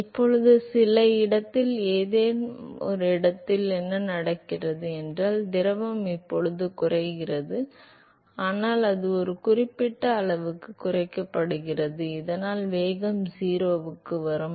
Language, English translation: Tamil, So, now at some location at some location what happens is that the fluid is now decelerated, but then it is decelerated to a certain extent that the velocity would come to 0 to the deceleration